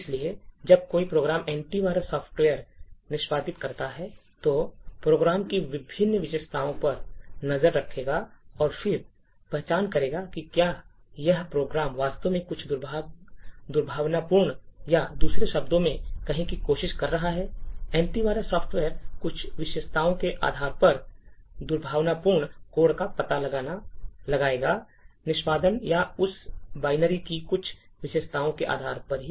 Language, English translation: Hindi, So when a program executes the anti virus software would monitor various characteristics of the program and then identify whether this program is actually trying to do something malicious or in other words, the anti virus software would detect malicious code, based on certain characteristics during the execution or based on certain characteristics of the binary of that particular executable